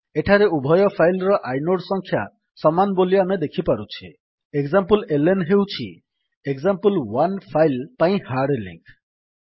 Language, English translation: Odia, Here we can see that inode number of both the files are same, file exampleln is the hard link for file example1